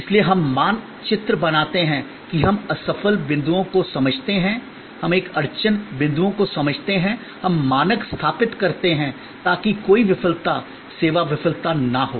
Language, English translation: Hindi, So, we map we create understand the fail points, we understand by a bottleneck points, we set up standard, so that of there is no failure, service failure